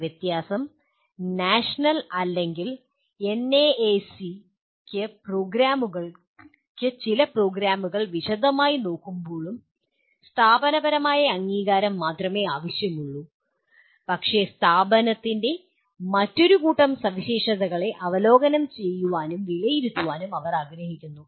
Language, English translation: Malayalam, The difference is National or the NAAC wants only the institutional accreditation while they look at some programs in detail, but they want a whole bunch of other characteristics of the institute to be reviewed and evaluated